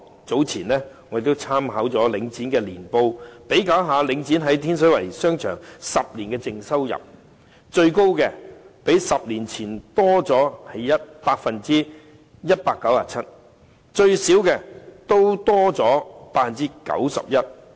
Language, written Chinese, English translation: Cantonese, 早前我曾參考領展的年報，以比較領展在天水圍的商場10年以來的淨收入，最高的是較10年前多 197%； 最少的也多出 91%。, Some time ago by referring to the annual reports of Link REIT I made a comparison of the net income of Link REITs shopping arcades in Tin Shui Wai over the past decade and found an increase of 197 % the highest comparing to over a decade ago whereas the lowest still shows an increase of 91 %